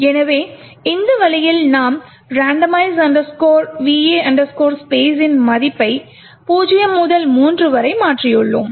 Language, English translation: Tamil, So in this way we have changed the value of randomize underscore VA underscore space from 0 to 3